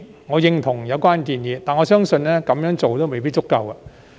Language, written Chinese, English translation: Cantonese, 我認同有關建議，但我相信這樣做也未必足夠。, I concur with the proposal but I think it might not be sufficient